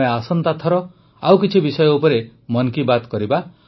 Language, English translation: Odia, Next time, we will discuss some more topics in 'Mann Ki Baat'